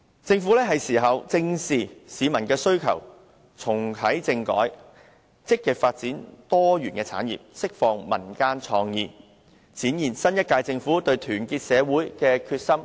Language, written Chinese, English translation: Cantonese, 政府是時候正視市民的需求，重啟政改，積極發展多元產業，釋放民間創意，展現新一屆政府對團結社會的決心和誠意。, It is high time the Government addressed squarely at peoples needs reactivated the constitutional reform actively brought about diversification of industries and encouraged creativeness in people . The next - term Government must demonstrate its resolution and sincerity in uniting everyone in society